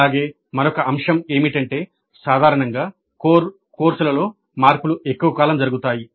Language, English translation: Telugu, And also another aspect is that generally changes in the core courses happen over longer periods